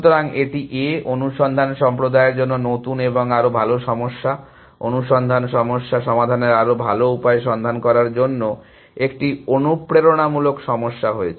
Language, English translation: Bengali, So, this has been, this has been a motivating problem for A I search community to look for newer and better problem, better ways of solving search problems